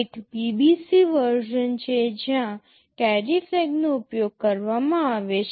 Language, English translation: Gujarati, There is an BBC version where the carry flag is used